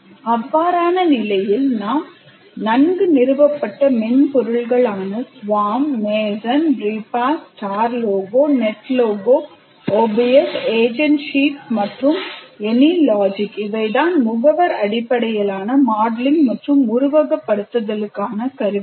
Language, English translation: Tamil, In that case, this is fairly well established software like Swam, Massen, Repa, Star Logo, Net Logo, OBS, agent sheets, and any logic or tools for agent based modeling and simulation